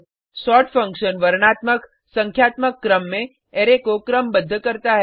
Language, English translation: Hindi, sort function sorts an Array in alphabetical/numerical order